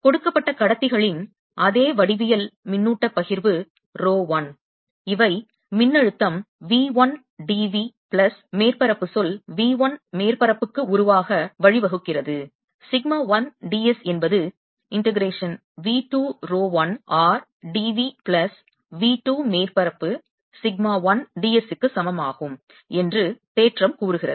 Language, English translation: Tamil, charge distribution: the theorem says that, given the same geometry of conductors, a charge distribution row one which gives rise to potential, v one plus system, v one d v plus surface term, v one surface sigma one d s, is same as integration v two, row one r d v plus v two surface sigma one d s